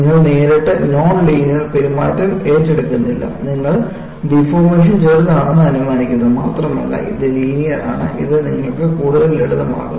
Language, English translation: Malayalam, You do not directly take up non linear behavior, you idealize the deformation as small and it is also linear, it makes your life a lot more simple